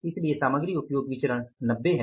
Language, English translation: Hindi, So, material usage variance is 90